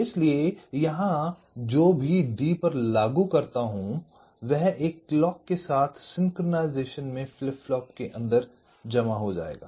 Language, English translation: Hindi, so here, whatever i apply to d, that will get stored inside the flip flop in synchronism with a clock